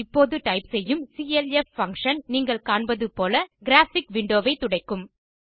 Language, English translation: Tamil, The clf() function that i am typing now will clear the graphic window as you see